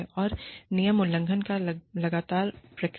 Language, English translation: Hindi, And, consistent response to rule violations